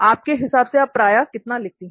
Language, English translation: Hindi, How frequently do you think you write